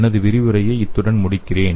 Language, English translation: Tamil, So I will end my lecture here